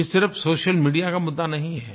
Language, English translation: Hindi, This is not only an issue of social media